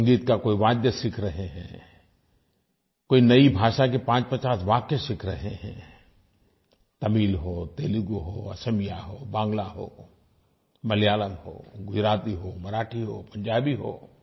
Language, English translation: Hindi, Learn a musical instrument or learn a few sentences of a new language, Tamil, Telugu, Assamese, Bengali, Malayalam, Gujarati, Marathi or Punjabi